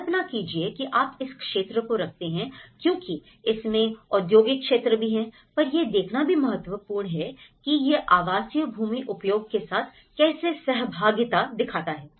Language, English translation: Hindi, So, imagine if you are keeping this because it is also the industrial segments, how it is interacting with the residential land use